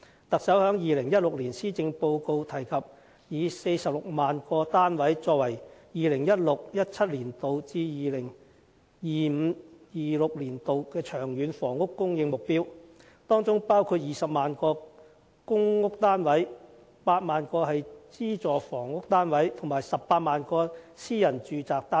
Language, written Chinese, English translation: Cantonese, 特首於2016年施政報告提及以46萬個單位作為 2016-2017 年度至 2025-2026 年度的長遠房屋供應目標，當中包括20萬個公共租住房屋單位、8萬個資助房屋單位及18萬個私人住宅單位。, In the Policy Address 2016 the Chief Executive adopted 460 000 units as the total housing supply target for the period from 2016 - 2017 to 2025 - 2026 which comprises 200 000 public rental housing PRH units 80 000 subsidized sale flats and 180 000 private housing units